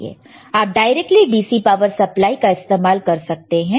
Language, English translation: Hindi, You can directly use DC power supply